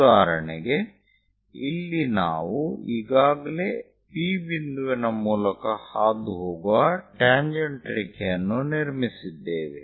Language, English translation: Kannada, For example, here we have already have constructed a tangent line passing through point P